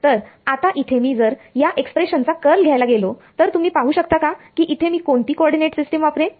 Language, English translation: Marathi, So, if I now go to take the curl of this expression, you can sort of see what coordinate system will I use